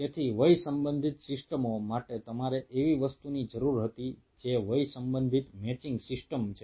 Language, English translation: Gujarati, so for age related systems you needed something which is age related, matching systems